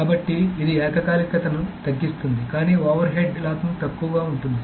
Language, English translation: Telugu, So it reduces the concurrency but the locking overhead is low